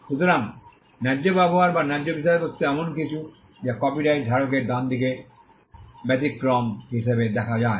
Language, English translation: Bengali, So, fair use or fair dealing is something that is seen as an exception to the right of the copyright holder